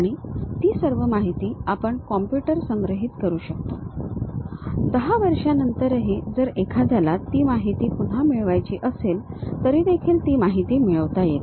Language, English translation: Marathi, And, all that information we can store it in the computer; even after 10 years if one would like to recover that information, we will be in a position to use that